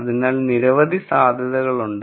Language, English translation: Malayalam, So, there are many many possibilities